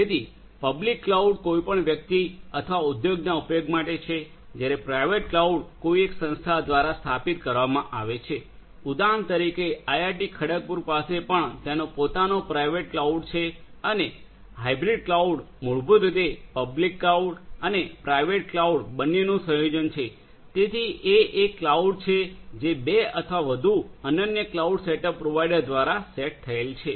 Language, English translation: Gujarati, So, public cloud are set up for use of any person or industry whereas, the private cloud is set up by some single organization for example, IIT Kharagpur also has its own private cloud right and hybrid cloud basically is a combination you know it is a combination of both public and private so it is a cloud that is set up by two or more unique cloud setup providers right